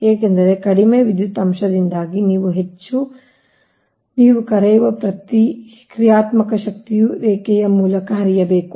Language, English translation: Kannada, because, because, because of poor power factor, more, ah, your what you call reactive power has to flow through the line, right